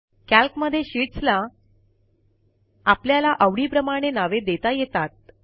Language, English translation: Marathi, Calc provides provision to rename the sheets according to our liking